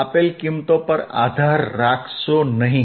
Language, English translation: Gujarati, Do not rely on given values